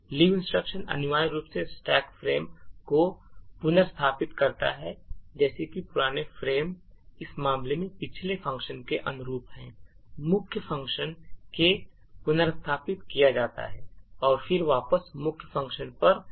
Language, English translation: Hindi, The leave instruction essentially restores the stack frame such that the old frame corresponding to the previous function in this case the main function is restored, and the return would then return back to the main function